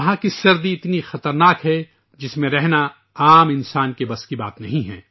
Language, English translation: Urdu, The cold there is so terrible that it is beyond capacity of a common person to live there